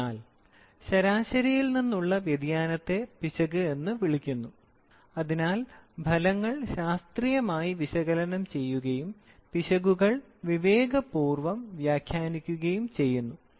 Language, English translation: Malayalam, So, variation from the mean, ok, so that is called as error, so the results as an scientifically analyzed and errors are wisely interpreted